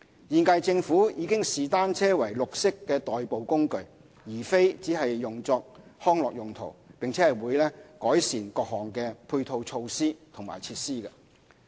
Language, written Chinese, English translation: Cantonese, 現屆政府已視單車為綠色代步工具，而非只用作康樂用途，並會改善各項配套措施和設施。, The current - term Government has already regarded bicycles as a green mode of transport rather than for recreational purposes only and will improve various supporting measures and facilities